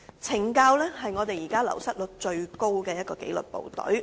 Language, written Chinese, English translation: Cantonese, 懲教署是現時流失率最高的紀律部隊。, The Correctional Services Department CSD is now the disciplined service with the highest turnover rate